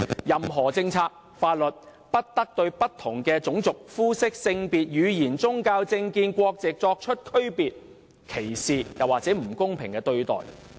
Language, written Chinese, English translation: Cantonese, 任何政策或法律，不得對不同種族、膚色、性別、語言、宗教、政見、國籍的人作出區別、歧視或不公平的對待。, Any policy or law should not make distinction of any kind among people of different race colour sex language religion political opinion or national origin or accord discriminatory or unfair treatment to them